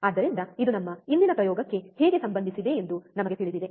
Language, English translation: Kannada, So, this we know, how it is related to our today’s experiment